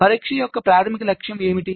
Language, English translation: Telugu, ok, so what is the basic objective of testing